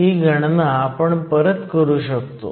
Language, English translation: Marathi, We can redo these calculations